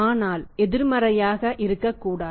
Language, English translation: Tamil, But it should not at all be negative